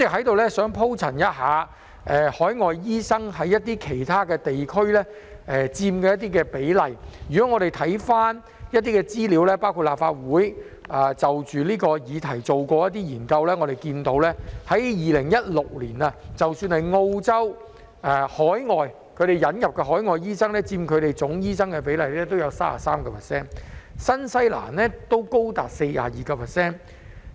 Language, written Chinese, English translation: Cantonese, 代理主席，就海外醫生在一些其他地區所佔的比例，我們翻看資料，包括立法會秘書處就這項議題所做的研究顯示 ，2016 年澳洲引入海外醫生佔醫生總人數的比例為 33%， 而新西蘭則為 42%。, Deputy President in respect of the ratio of overseas doctors in some other places we have looked up some information including the research conducted by the Legislative Council Secretariat on this subject which shows that overseas doctors accounted for 33 % of the total number of doctors in Australia and 42 % in New Zealand in 2016